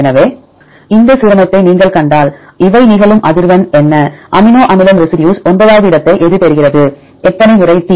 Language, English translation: Tamil, So, if you see this alignment what is the frequency of occurrence of these amino acid residues it position number 9, how many times T